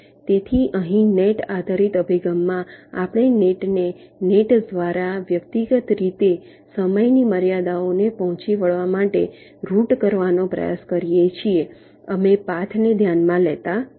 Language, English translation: Gujarati, so in the net based approach here we try to route the nets to meet the timing constraints individually on a net by net basis